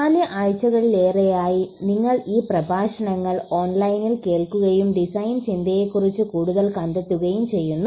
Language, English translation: Malayalam, It’s been over 4 weeks that you have been listening to these lectures online and finding out more about design thinking